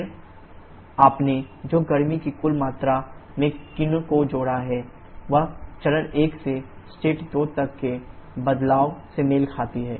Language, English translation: Hindi, Then the total amount of heat that you have added qin corresponds to the change in phase from state 1 to state 2